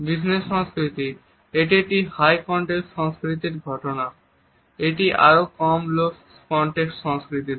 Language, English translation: Bengali, Business culture: Here a case in high context cultures, this is lesser in low context cultures